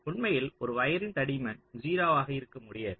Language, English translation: Tamil, now, actually, a wire cannot be of zero thickness